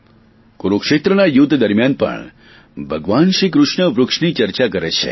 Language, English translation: Gujarati, In the battlefield of Kurukshetra too, Bhagwan Shri Krishna talks of trees